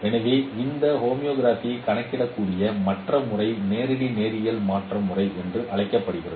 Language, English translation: Tamil, So the other method by which this homography could be computed is called direct linear transformation method